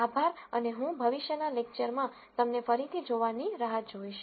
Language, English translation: Gujarati, Thank you and I look forward to seeing you again in a future lecture